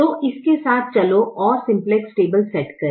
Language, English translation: Hindi, let us go and setup the simplex table